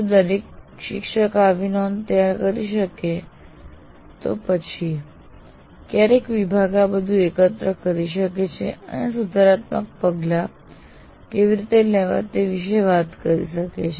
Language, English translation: Gujarati, If every teacher can prepare that, then the department at some point of time can pool all this and talk about how to take corrective action for that